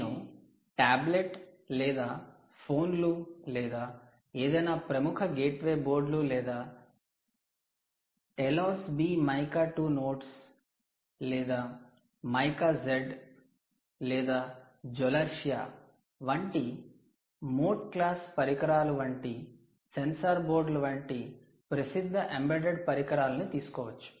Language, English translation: Telugu, you take popular embedded devices like tablets, phones, right, popular gateway boards or any of the sensor boards in the sensor boards, issues like there are boards like the mote class devices which could be like the telos b, mica two nodes or mica z i have to write this also mica, mica two, mica z ah, and so on, or zolertia